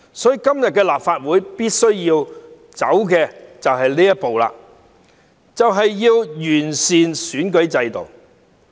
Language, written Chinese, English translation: Cantonese, 所以，立法會今天必須走的一步，就是完善選舉制度。, Therefore the step the Legislative Council must take today is to improve the electoral system